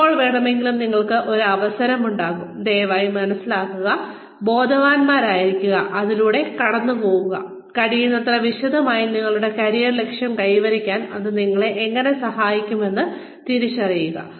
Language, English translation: Malayalam, And anytime, you come across an opportunity, please understand, please be aware, please go through it, in as much detail as possible, and identify, how this is going to help you achieve, your career objective